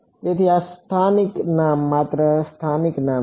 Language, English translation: Gujarati, So, this is a local name only a local name